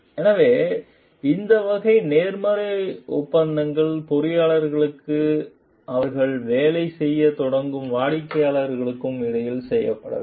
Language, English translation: Tamil, So, these type of positive agreements needs to be done between the engineers and for the clients for whom they start working